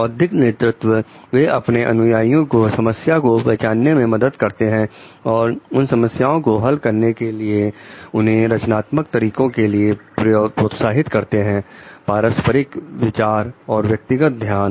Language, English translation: Hindi, Intellectual simulation; so they help followers to recognize the problem and encourage creative ways of resolving these problems, interpersonal consideration and individualized attention